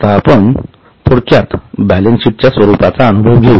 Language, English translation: Marathi, Now, just to get a feel of the balance sheet, this is the format in short